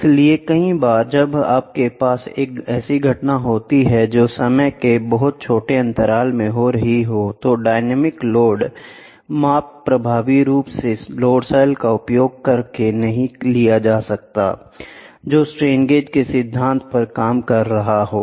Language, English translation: Hindi, So, many a times when you have an event which is happening at very small intervals of time dynamic load measurements cannot be done effectively by using load cells which is working on the principle of strain gauges